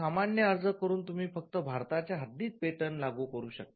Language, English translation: Marathi, By getting an ordinary application, you can only enforce the patent within the boundaries of India